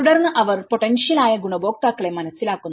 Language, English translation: Malayalam, And then they identified, yes these are the potential beneficiaries